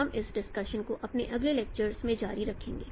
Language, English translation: Hindi, We will continue this discussion in my next lecture